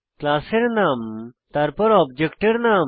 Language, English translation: Bengali, Class name is the name of the class